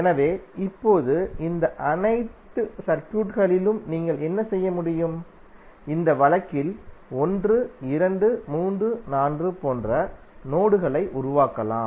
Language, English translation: Tamil, So now, in all these circuits, what you can do, you can create the terminals like 1, 2, 3, 4 in this case